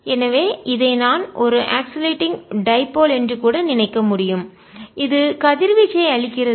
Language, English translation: Tamil, so i can even think of this as an oscillating dipole which is giving out radiation